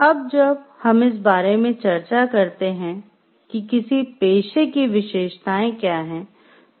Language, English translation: Hindi, Now, when we discuss about what are the attributes of a profession